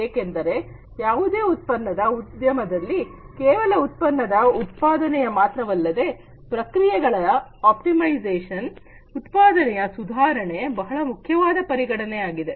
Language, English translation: Kannada, Because in any manufacturing industry it is not just the manufacturing of the product, optimization of the processes, improvement of the productivity, these are important considerations